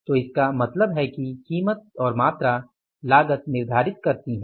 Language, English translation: Hindi, So, it means price and the quantity makes the cost